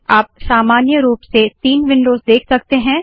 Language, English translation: Hindi, You see three windows as usual